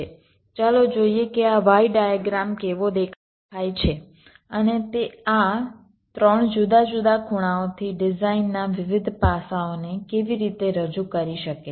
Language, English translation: Gujarati, so let us see i am a how this y diagram looks like and how it can represent the various aspects of the design from this three different angles